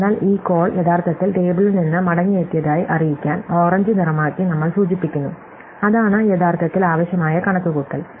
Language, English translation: Malayalam, So, we have indicated it by turning it orange that this call was actually returned from the table, it didn’t actually require computation